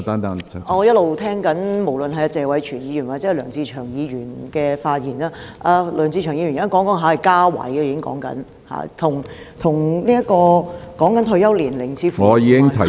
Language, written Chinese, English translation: Cantonese, 我一直聆聽謝偉銓議員和梁志祥議員的發言，梁志祥議員現在說的是增設職位，與退休年齡似乎無關......, I have been listening to the speeches made by Mr Tony TSE and Mr LEUNG Che - cheung . Mr LEUNG Che - cheung is now talking about creating additional posts which seems to be unrelated to retirement age